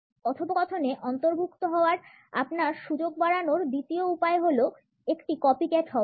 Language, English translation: Bengali, The second way to increase your chance of being included in the conversation is to be a copycat